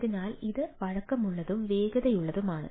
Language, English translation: Malayalam, so, uh, it is both flexible and speedy thing